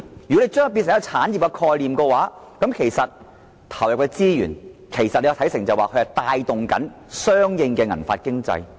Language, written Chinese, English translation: Cantonese, 如果把它變成一種產業概念的話，可以把投入的資源視作可以帶動相應的"銀髮經濟"。, If the silver hair economy is turned into as an industrial concept the resources injected can thus be regarded as capable of driving the economy accordingly